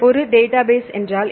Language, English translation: Tamil, So, what is a database